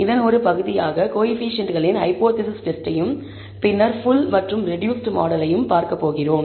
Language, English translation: Tamil, As a part of this, we are going to look at the hypothesis testing on coefficients and then on the full and reduced model